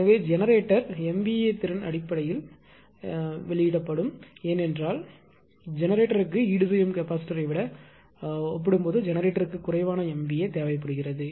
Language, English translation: Tamil, So, naturally generator in terms of generator mva capacity that mva will be released because generator needs less mva as compared to without capacita and capacitor